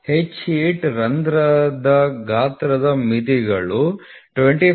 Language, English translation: Kannada, The limits of size for H 8 hole are 25